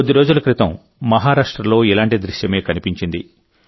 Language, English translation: Telugu, A similar scene was observed in Maharashtra just a few days ago